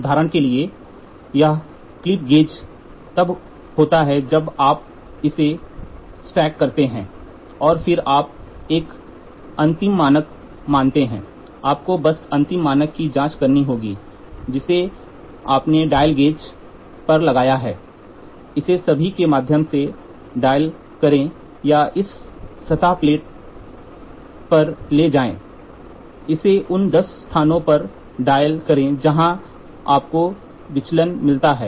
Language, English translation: Hindi, For example, this clip gauges when you stack it and then you make an end standard, you just have to check the end standard you put a dial gauge, dial it all through or take a surface plate dial it at ten places you get the deviations